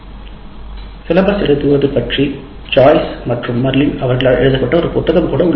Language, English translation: Tamil, There is even a book written on this by Joyce and Marilyn about writing the syllabus